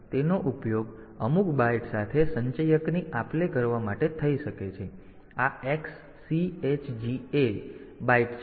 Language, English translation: Gujarati, So, that can be used for exchanging the accumulator with some byte so XCH a, byte